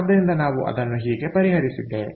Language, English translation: Kannada, so this is how we have solved it